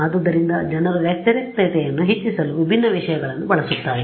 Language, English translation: Kannada, So, people use different things for enhancing the contrast